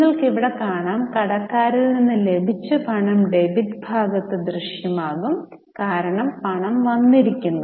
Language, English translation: Malayalam, You can see here cash received from daters will appear on debit side because the money has come in